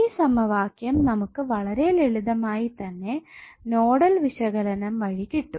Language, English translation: Malayalam, So you will simply get this equation when you apply the Nodal analysis